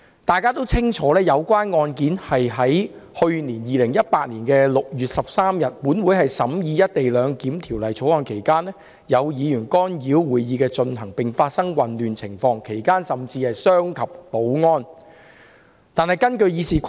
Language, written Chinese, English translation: Cantonese, 大家也清楚知道，有關案件發生在去年2018年6月13日，立法會審議《廣深港高鐵條例草案》期間，有議員干擾會議的進行，並發生混亂情況，其間甚至傷及保安人員。, As we all clearly know the case happened during the consideration of the Guangzhou - Shenzhen - Hong Kong Express Rail Link Co - location Bill by the Legislation Council on 13 June last year ie . 2018 . The meeting was disrupted by some Members and chaos arose